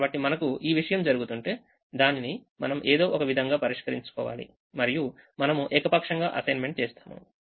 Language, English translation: Telugu, so if we have this thing that is happening, then we have to resolve it in some way and we make an arbitrary assignment